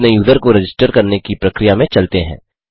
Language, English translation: Hindi, Getting into registering our user process